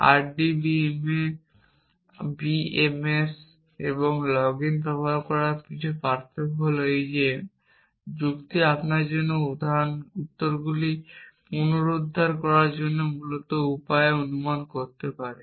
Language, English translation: Bengali, The difference between something like RDBA BMS and using login is that logic can make inferences on the way essentially to retrieve answers for you